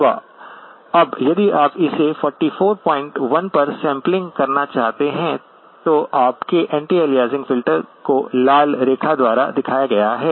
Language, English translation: Hindi, Now if you wanted to sample it at 44 point 1, your anti aliasing filter would have to be the one that is shown by the red line